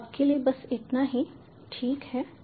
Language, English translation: Hindi, so this is it for now